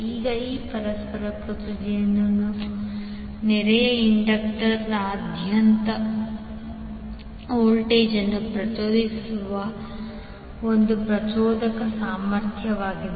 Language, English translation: Kannada, Now this mutual inductance is the ability of one inductor to induce voltage across a neighbouring inductor